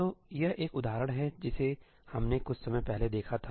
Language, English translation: Hindi, this is an example that we had looked at some time back